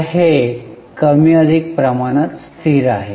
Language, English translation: Marathi, So, it's more or less constant